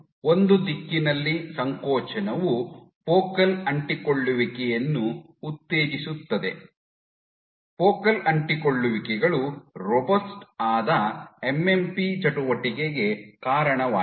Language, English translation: Kannada, In one direction contractility is stimulating focal adhesions, focal adhesions are reason to robust MMP activity